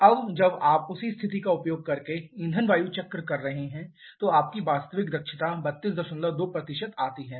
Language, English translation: Hindi, Now when you are doing the fuel air cycle using the same value of maximum using the same condition then your efficiency actual is coming to 32